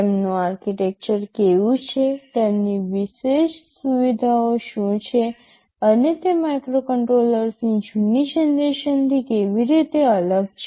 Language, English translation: Gujarati, What are their architecture like, what are their specific features, like and how are they different from the earlier generation of microcontrollers ok